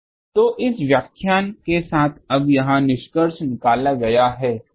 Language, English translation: Hindi, So, with this, this lecture is concluded now